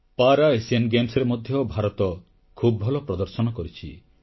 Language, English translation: Odia, India also performed very well in the Para Asian Games too